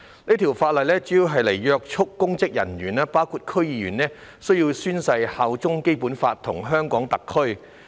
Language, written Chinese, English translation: Cantonese, 有關修訂主要旨在約束公職人員，包括區議員，規定他們須宣誓擁護《基本法》及效忠香港特區。, The amendments mainly seek to impose some restrains on public officers including District Council DC members by requiring them to swear to uphold the Basic Law and swear allegiance to HKSAR